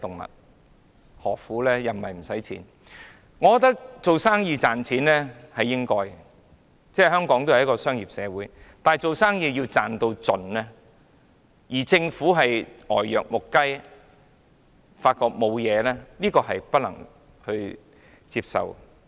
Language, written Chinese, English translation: Cantonese, 我認為做生意力求賺錢是應該的，香港始終是商業社會，但不擇手段爭取最大利潤，而政府卻呆若木雞，渾然不覺問題的所在，那便不能接受。, I consider that it is alright for business people to try their best to make money . After all Hong Kong is a commercial society . But unscrupulous maximization of profits and total unawareness and inaction on the part of the Government are unacceptable